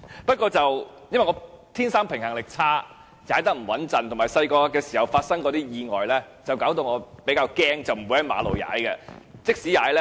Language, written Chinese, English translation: Cantonese, 不過，因為我天生平衡力差，所以踏得不穩，加上小時候發生過一些意外，令我比較害怕，不會在馬路上踏單車。, However with an innately poor sense of balance I cycle not too stably; and also due to some childhood accidents I am quite timid and would not cycle on roads